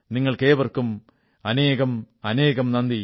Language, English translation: Malayalam, I Thank all of you once again